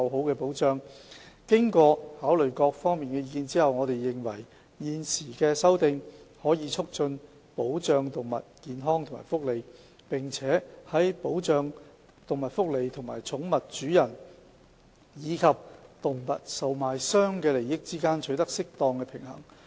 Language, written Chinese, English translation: Cantonese, 經考慮各方意見後，我們認為現行的修訂規例可以促進保障動物健康和福利，並且在保障動物福利和寵物主人，以及動物售賣商的利益之間取得適當平衡。, After taking into account the views of various parties we believe that the current Amendment Regulation can promote the protection of animal health and welfare and strike an appropriate balance between the protection of animal welfare and the interests of pet owners and animal traders